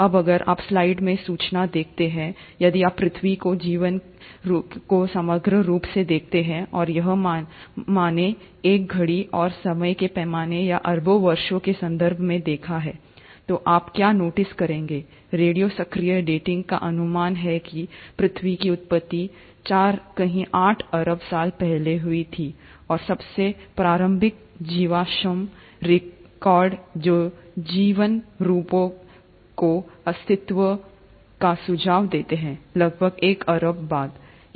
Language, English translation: Hindi, Now if you notice in the slide, if you were to look at the life of earth as a whole, and here I’ve drawn a clock and the time scale or in terms of billions of years, what you’ll notice is that the radio active dating estimates that the origin of earth happened somewhere close to four point eight billion years ago, and, the earliest fossil records which suggest existence of life forms is about a billion years later